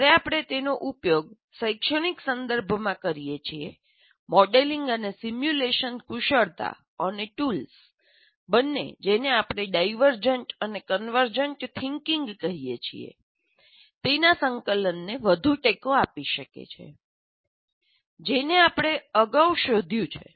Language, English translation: Gujarati, When we use it in educational context, modeling and simulation skills and tools can further support the integration of both what you call divergent and convergent thinking, which you have explored earlier